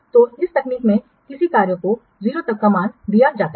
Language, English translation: Hindi, So in this technique a tax is given a value